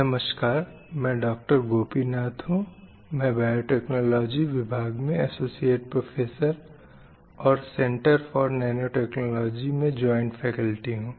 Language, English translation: Hindi, Gopinath, Associate Professor in the Department of Biotechnology and also a joint faculty in the Center for Nanotechnology